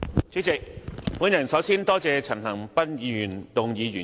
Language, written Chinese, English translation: Cantonese, 主席，我首先感謝陳恒鑌議員動議原議案。, President let me begin by expressing my thanks to Mr CHAN Han - pan for moving the original motion